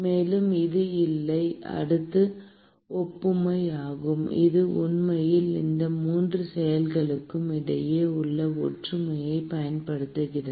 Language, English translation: Tamil, And it is the boundary layer analogy which actually capitalizes on the similarity between these 3 processes